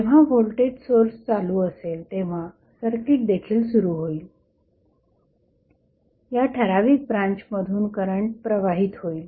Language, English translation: Marathi, So, when this will be energized, the circuit will be energized, the current will flow in this particular branch